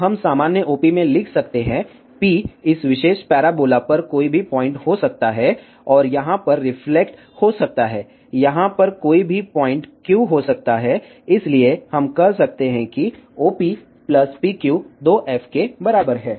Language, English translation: Hindi, So, we can write in general OP, P can be any point on this particular parabola and reflected over here, can be any point Q over here, so we can say OP plus PQ is equal to 2f